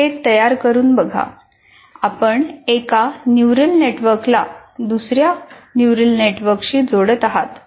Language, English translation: Marathi, By creating this, once again, you are interconnecting one neural network to another neural network